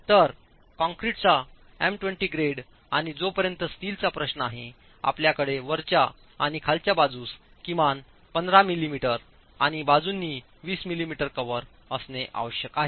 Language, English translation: Marathi, So, m20 grade of concrete and as far as the steel is concerned, you have to have a minimum cover of 15 m m at the top and bottom and 20 millimeters cover on the sides